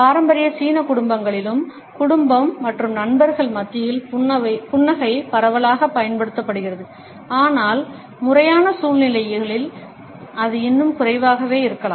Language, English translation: Tamil, In traditional Chinese families also, smiling is used extensively among family and friends, but in formal situations it may still be limited